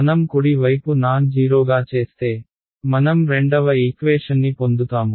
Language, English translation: Telugu, If I make the right hand side non zero, I get the second equation